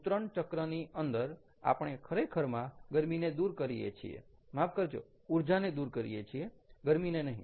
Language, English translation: Gujarati, in the discharging cycle, what we do is we actually remove the heat, or, sorry, remove the energy, not heat anymore [laughter]